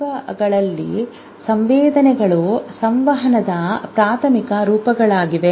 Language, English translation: Kannada, In vertebrates, sensations are there